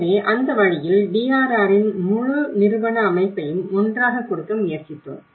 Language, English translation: Tamil, So in that way, we tried to pull it together the whole organizational setup of the DRR